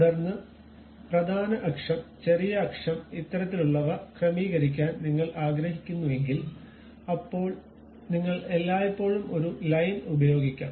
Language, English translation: Malayalam, Then, you want to adjust the major axis, minor axis these kind of thing, then we can always we can always use a Line